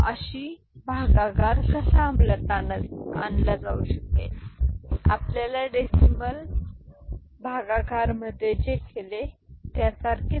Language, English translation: Marathi, And how division can be implemented, it is similar to what you had done in your decimal division